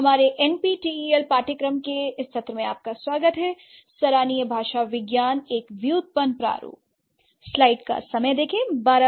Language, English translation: Hindi, Hello, everyone to this session of our our NPTL course appreciating linguistics a typological approach